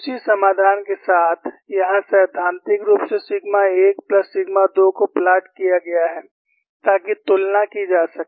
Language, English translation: Hindi, With the same solution, here theoretically sigma 1 plus sigma 2 is plotted, so that the comparison could be made